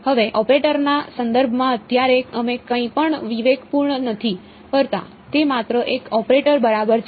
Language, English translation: Gujarati, Now, in terms of an operator right now we are not discretizing anything it is just an operator ok